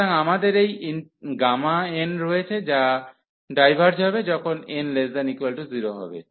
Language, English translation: Bengali, So, we have this gamma n that it diverges, when n is less than equal to 0